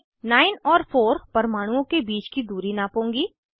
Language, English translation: Hindi, I will measure the distance between atoms 9 and 4